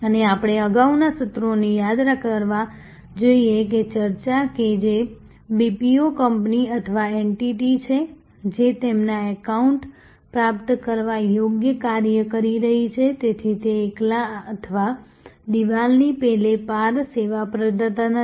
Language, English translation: Gujarati, And we must recall the previous sessions that discussion that is BPO company or entity, that is doing their account receivable work therefore, is not a sort of stand alone or across the wall a service provider